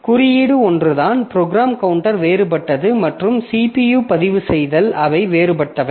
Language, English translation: Tamil, Only thing is that the program counter is different and the CPU registers they are different